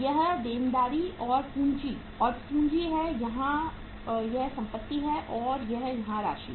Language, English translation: Hindi, This is the liabilities and capital and capital here it is assets and it is here amount here